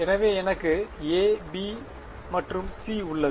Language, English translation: Tamil, So, I have a, b and c ok